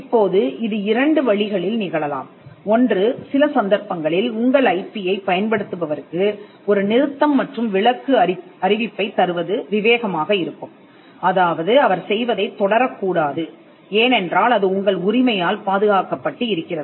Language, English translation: Tamil, Now, this can happen in two ways; one, in some cases it would be prudent to inform the person whoever has utilizing your IP with a cease and desist notice – asking the person not to continue what he is doing as it is protected by your right